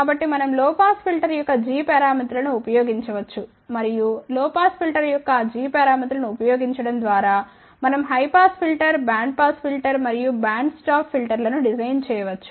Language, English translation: Telugu, So, we can actually used the g parameters of low pass filter and by using those g parameters of low pass filter we can actually design a high pass filter, band pass filter and band stop filter